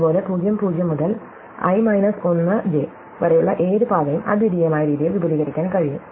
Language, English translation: Malayalam, Likewise, any path, which comes from ( to (i 1,j) can be extended in the unique way, right